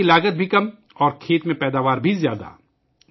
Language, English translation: Urdu, The cost of cultivation is also low, and the yield in the fields is also high